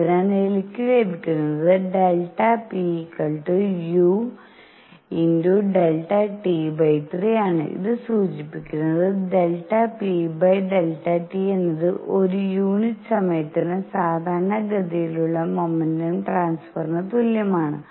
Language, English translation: Malayalam, So, what I get is delta p is equal to u, delta t over 3 and this implies delta p over delta t is equal to momentum transfer per unit time normal to a